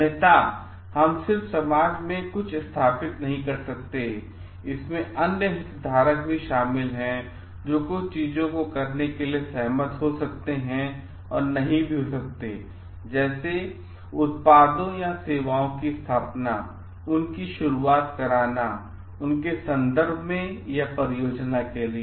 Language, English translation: Hindi, Otherwise, we just cannot go and install something in society, there are others stakeholders involved also, which may or may not agree to we doing certain things and in terms of like in installation commissioning of the products or services so, or for a project